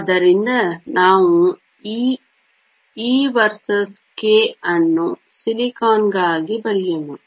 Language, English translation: Kannada, So, let us draw this e versus k for silicon